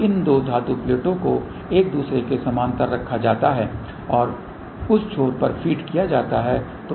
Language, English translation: Hindi, So, these two metallic plates are kept in parallel with each other and fed at that ends ok